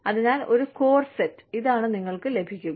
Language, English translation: Malayalam, So, one core set, that this is what, you will get